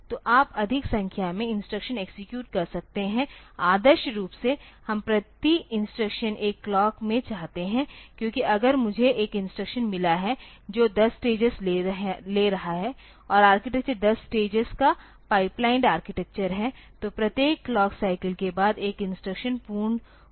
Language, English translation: Hindi, So, you can you can execute more number of instruction ideally we would like to have one clock per instruction because if I have got one instruction taking say 10 stages and the architecture is a 10 stage pipelined architecture then after every clock cycle 1 instruction should be complete